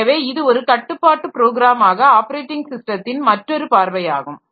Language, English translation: Tamil, So, this is another view of the operating system so as a control program